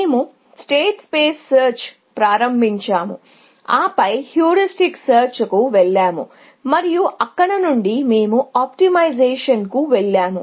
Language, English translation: Telugu, We started with state space search and then, we went on to heuristic search and from there, we went to optimization